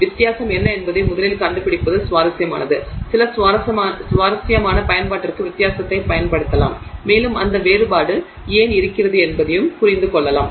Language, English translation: Tamil, Then it is interesting to first find out what is the difference, can we use the difference to some you know some interesting application and also to understand why there is that difference